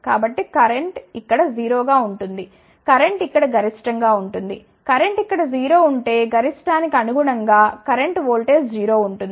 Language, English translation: Telugu, So, current will be 0 here, current will be maximum here, current will be 0 here corresponding to a maxima of current voltage will be 0